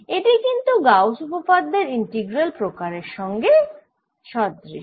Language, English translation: Bengali, this is similar to the integral form of gauss's law